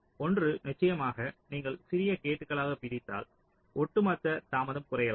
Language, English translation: Tamil, well, the reason is one is, of course, if you divide into smaller gates may be the overall delay become less